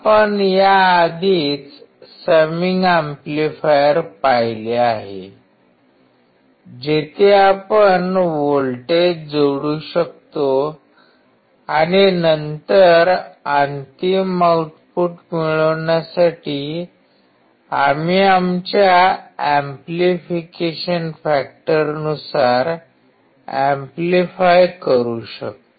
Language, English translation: Marathi, We have already seen the summation amplifier, where we can add the voltages and then we can amplify according to our amplification factor to get the final output